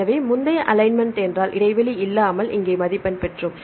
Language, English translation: Tamil, So, if you the earlier alignment we got the score here without gaping gap